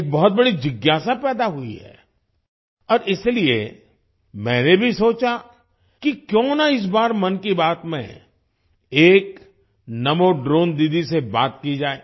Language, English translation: Hindi, A big curiosity has arisen and that is why, I also thought that this time in 'Mann Ki Baat', why not talk to a NaMo Drone Didi